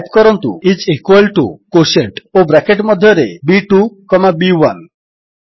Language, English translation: Odia, And type is equal to QUOTIENT, and within the braces, B2 comma B1